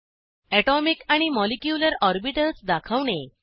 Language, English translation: Marathi, Display Atomic and Molecular orbitals